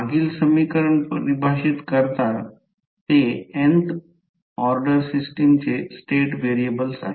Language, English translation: Marathi, Which define the previous equation are the state variables of the nth order system